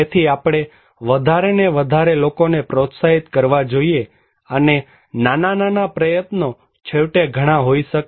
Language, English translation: Gujarati, So we should encourage more and more people and small, small, small effort could be very gigantic